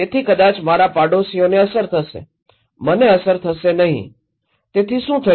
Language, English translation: Gujarati, So, maybe my neighbours will be affected, I will not be affected, so what happened